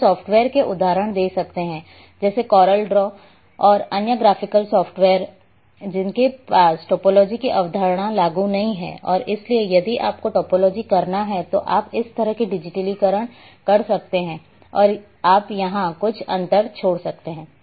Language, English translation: Hindi, That here there are software’s I can give example like coral draw and other graphical software’s which do not have the concept of topology implemented, and therefore if you have to digitize you might be digitizing like this and you may leave some gap here